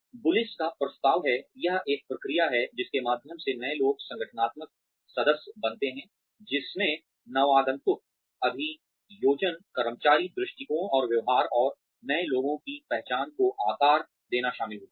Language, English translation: Hindi, Bullis proposes that, it is a process through which, newcomers become organizational members includes newcomer acculturation, employee attitudes and behaviors, and the shaping of newcomers